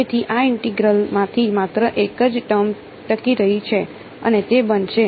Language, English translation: Gujarati, So, only one term is going to survive from this integral and that is going to be